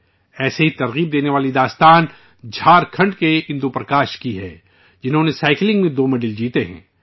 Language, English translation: Urdu, Another such inspiring story is that of Indu Prakash of Jharkhand, who has won 2 medals in cycling